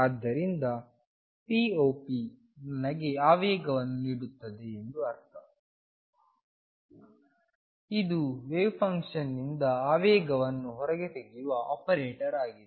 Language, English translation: Kannada, So, it does make sense that p operator gives me momentum; that means; this is an operator that extracts right the momentum out of a wave function